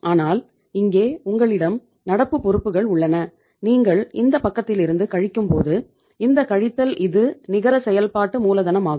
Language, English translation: Tamil, But when this, here you have the current liabilities and from this side when you are subtracting, this minus this then this work out as the net working capital